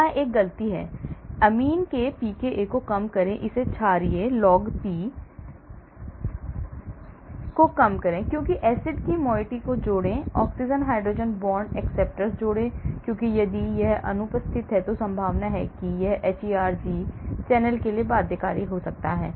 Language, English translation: Hindi, So, there is a mistake here, reduce pKa of amine, make it basic; reduce log P because add acid moiety, add oxygen hydrogen bond acceptor because if it is absence then chances are it could be binding to hERG channel